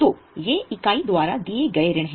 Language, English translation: Hindi, So, these are the loans given by the entity